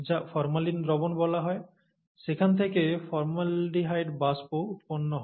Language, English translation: Bengali, And the formaldehyde vapour is generated from, what are called formalin solutions